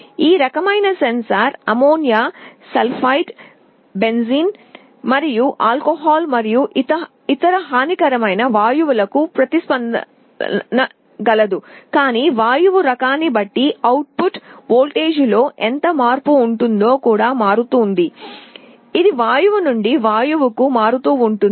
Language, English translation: Telugu, This kind of a sensor can respond to gases like ammonia, sulphide, benzene and also alcohol and other harmful gases, but depending on the type of gas, how much change there will be in the output voltage will vary, it varies from gas to gas